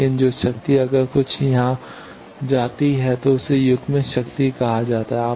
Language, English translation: Hindi, But the power if that some how goes here then that is called coupled power